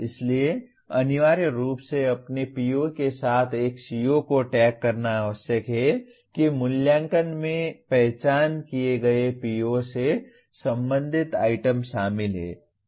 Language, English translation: Hindi, So essentially tagging a CO with its PO requires that the assessment includes items related to the identified PO